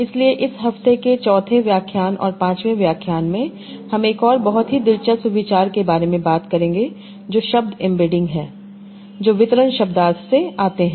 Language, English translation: Hindi, So in this fourth lecture and the fifth lecture of this week, we will talk about another very interesting idea that is word embeddings that come from distribution semantics